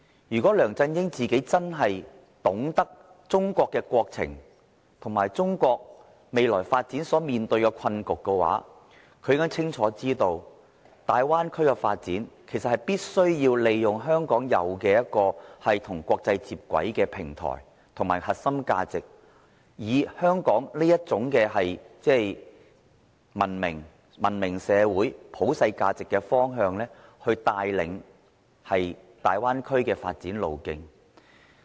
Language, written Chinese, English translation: Cantonese, 如果梁振英真的懂得中國的國情，以及了解中國未來發展所面對的困局的話，他應該清楚知道，大灣區的發展必須利用香港擁有與國際接軌的平台及核心價值，以香港的文明社會、普世價值的方向，帶領大灣區的發展路徑。, If LEUNG Chun - ying really knows the national circumstances of China and understands the difficult situation that China has to face in future development he should be fully aware that Hong Kong should be used in the development of the Bay Area in order to lead the development direction of the Bay Area that is the platform and core value of Hong Kong to align with the international community its civilized society and universal values